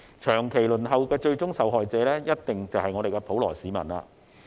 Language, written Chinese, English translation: Cantonese, 長期輪候的最終受害者，一定是普羅市民。, The ultimate victim of the long waiting time is definitely the general public